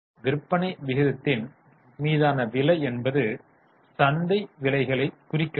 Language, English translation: Tamil, Now, price upon sales ratio, this is referring to market prices